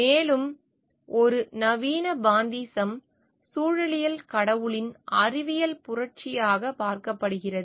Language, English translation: Tamil, And a modern pantheism ecology is viewed as the scientific revolution of god